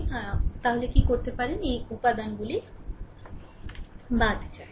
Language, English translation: Bengali, So, so, what you can do is exclude these elements